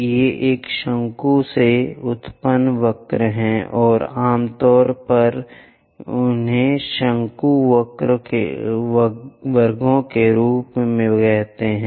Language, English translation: Hindi, These are the curves generated from a cone, and we usually call them as conic sections